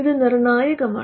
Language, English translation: Malayalam, Because that is critical